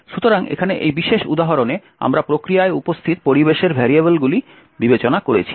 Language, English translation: Bengali, So, in this particular example over here we have considered the environment variables that is present in the process